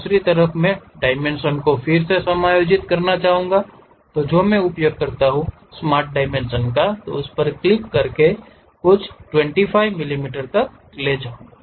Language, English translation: Hindi, On the other side, I would like to adjust the dimensions again what I can use is, click that move it to some 25 millimeters